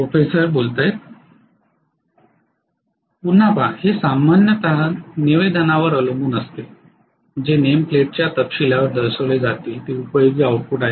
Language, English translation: Marathi, See again it depends upon the statement generally what is shown on the name plate detail is useful output